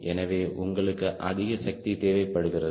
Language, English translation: Tamil, so you need to have more power